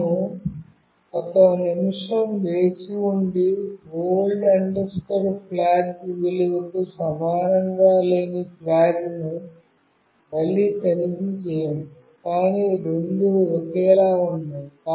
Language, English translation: Telugu, We wait for one minute, and again check flag not equal to old flag value, but no both are same